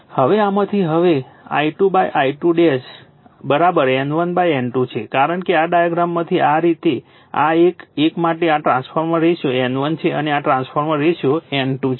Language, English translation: Gujarati, Now, from this and now I 2 upon I 2 dash is equal to N 1 upon N 2 because from this diagram from this diagram your this, this one this trans for this one this trans ratio is N 1 and this trans ratio is N 2, right